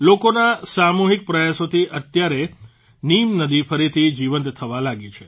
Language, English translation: Gujarati, On account of the collective efforts of the people, the Neem river has started flowing again